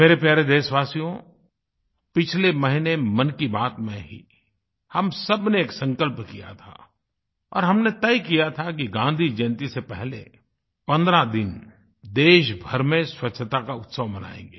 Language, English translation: Hindi, My dear countrymen, we had taken a resolve in last month's Mann Ki Baat and had decided to observe a 15day Cleanliness Festival before Gandhi Jayanti